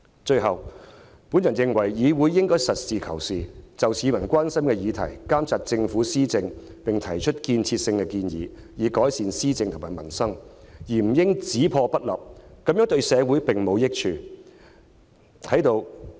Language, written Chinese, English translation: Cantonese, 最後，我認為，議會應該實事求是，針對市民關心的議題，監察政府施政，並提出有建設性的建議，以改善施政和民生，而不應只破不立，這樣對社會並無益處。, Lastly I hold that the Council should be pragmatic in monitoring the administration by the Government in respect of issues of concern to the people and make constructive suggestions so as to improve policy implementation and peoples livelihood . They should not on the contrary only seek to inflict destruction without making constructive efforts . It brings no benefit to society